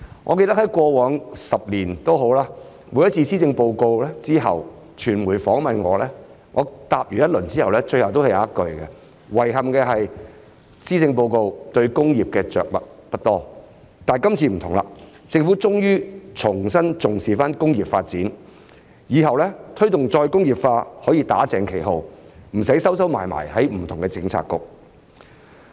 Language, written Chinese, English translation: Cantonese, 我記得過往10年，每次我在施政報告公布後接受傳媒訪問時，我的回答最後總有一句："遺憾的是，施政報告對工業的着墨不多"；但今次不同，政府終於重新重視工業發展，以後推動再工業化可以"打正旗號"，不用再"收收埋埋"在不同的政策局。, I remember that in the past 10 years whenever I was interviewed by the media after the announcement of policy addresses I would always end my reply with the following sentence Regrettably the Policy Address has not devoted much attention to industries . However it is different this time as the Government has finally regained its focus on industrial development so that in future the promotion of re - industrialization can be done formally without having to be done in different Policy Bureaux in a closed manner